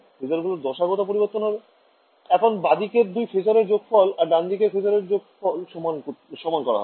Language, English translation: Bengali, These phasors will change in phase, now I am adding 2 phasors on the left hand side and equating it to another phasor on the right hand side